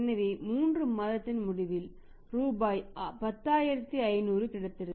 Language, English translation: Tamil, So, at the end of 3 months he would have ended up getting 500 rupees more